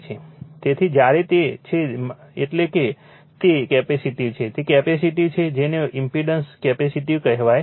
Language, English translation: Gujarati, So, when it is minus means it is capacitive right, it is capacitive what you call impedance is capacitive